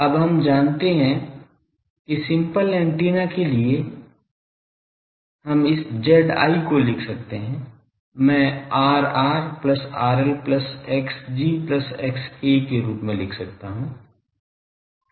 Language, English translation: Hindi, Now, we know that for simple antennas, we can write this Z j, I can write as R r plus R L plus X g plus X A ok